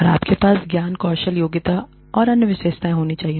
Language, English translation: Hindi, And, you have to, have the knowledge, skills, abilities, and other characteristics